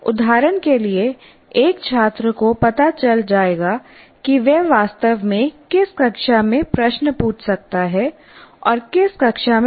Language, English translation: Hindi, For example, a student will know in which class he can actually ask a question and in which class he cannot